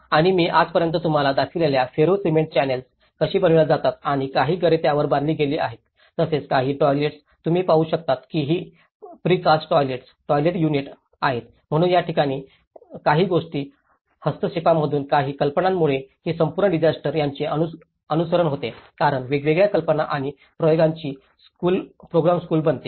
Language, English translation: Marathi, And the Ferro Cement Channels which I have showed you just now how they are fabricated and some of the houses were also constructed on that and as well as some toilets, you can see that these are the precast toilets, toilet units so these are some of the interventions, some ideas because this whole disaster becomes the follow up of this becomes a kind of place a laboratory of different ideas and experiments